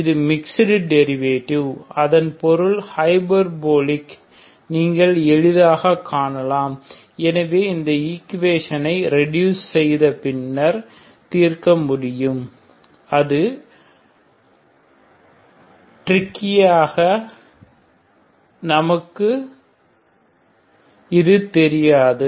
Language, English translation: Tamil, So this is mixed derivative so that means hyperbolic you can easily see so can we solve this equation after reduction that maybe tricky we don’t know